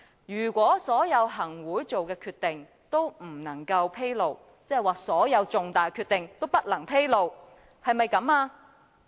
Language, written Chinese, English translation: Cantonese, 是否所有行會的決定皆不能披露，即所有重大的決定皆不能披露呢？, Are all Executive Council decisions not to be disclosed that is all crucial decisions cannot be disclosed?